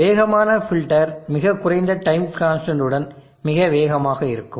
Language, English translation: Tamil, The fast filter is much faster with the very low time constant